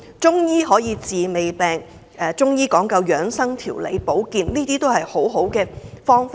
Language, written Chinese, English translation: Cantonese, 中醫可以治未病，講究養生、調理、保健，都是一些好方法。, Chinese medicine can be preventive treatment of disease . It emphasizes maintenance of good health recuperation and healthcare . These are all good methods